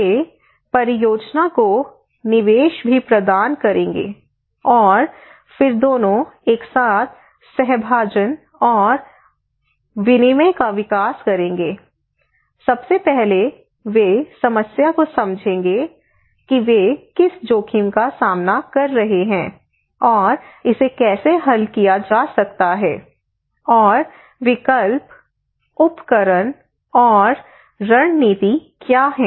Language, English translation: Hindi, They would also provide input to the project and then both of them together by sharing and exchanging informations would develop first they would understand the problem what are the risk they are facing and how it can be solved and what are the options, tools and strategies that we can adopt